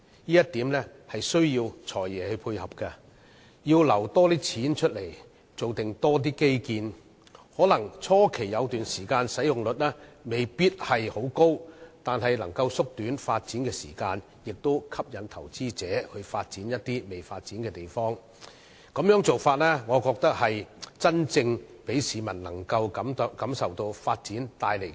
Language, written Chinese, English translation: Cantonese, 這一點需要"財爺"配合，預留更多資金提供更多基建，可能在初期一段時間使用率未必會很高，但卻可以縮短發展時間，同時可以吸引投資者發展一些仍未發展的地方，我認為這種做法可讓市民真正感受到發展帶來的改變。, In this connection the support of the Financial Secretary in setting aside more funds for the provision of additional infrastructures is needed . At the initial stage the utilization rate may not necessarily be high yet it can shorten the lead time for development and attract investors to develop certain virgin areas . I think this approach will enable the public to feel the changes brought forth by development